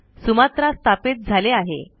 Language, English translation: Marathi, Sumatra is installed now